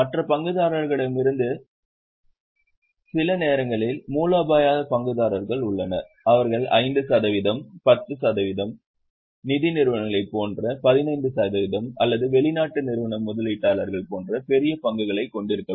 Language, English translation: Tamil, Within other shareholders also sometimes there are strategic shareholders who may have big chunks of shares like 5%, 10% 15%, like financial institutions or like foreign institutional investors